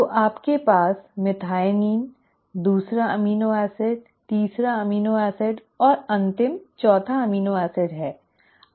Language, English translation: Hindi, So you have the methionine, the second amino acid, the third amino acid, right, and the final the fourth amino acid